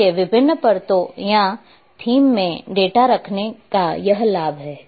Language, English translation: Hindi, So, that’s the advantage of having data in different layers or themes